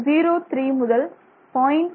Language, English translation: Tamil, 03 to 0